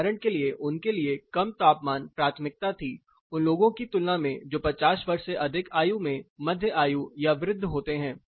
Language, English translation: Hindi, For example, had a preference for lower temperature, compared to people who were say above 50 years of age, mid age and old age people